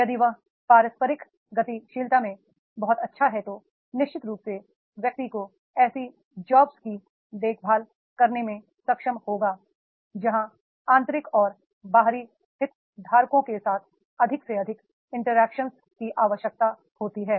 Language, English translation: Hindi, If the very good in interpersonal dynamics, then definitely the person will be able to be taking the care of the such jobs where the more and more interactions with the internal and external stakeholders is required